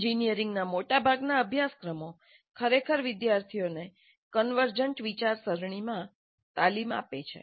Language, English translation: Gujarati, And most of the engineering curricula really train the students in convergent thinking